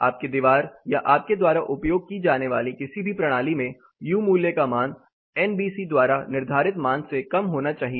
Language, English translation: Hindi, Your wall or any system that you use should have values less than what NBC is prescribing